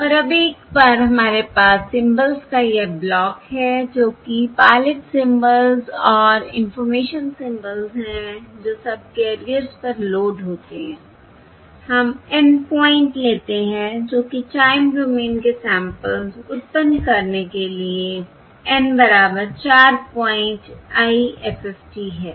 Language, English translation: Hindi, And now, once we have this block of symbols, that is, pilot symbols and information symbols that are loaded onto the subcarriers, we take the N point, that is, N equal to 4 point IFFT, to generate the time domain samples